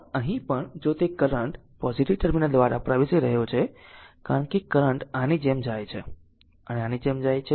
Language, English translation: Gujarati, But here also if you look into that current is entering through the positive terminal because current goes like this goes like this and goes like this right